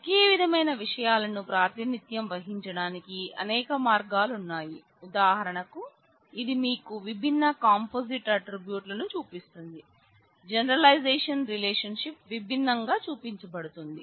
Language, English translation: Telugu, There are multiple ways to represent similar things for example, this is one which is showing you different composite attributes, the generalization, relationship is shown differently